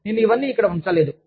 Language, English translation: Telugu, I have not put it all, here